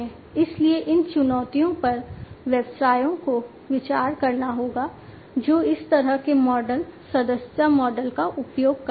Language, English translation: Hindi, So, these challenges have to be considered by the businesses, which go by the use of this kind of model the subscription model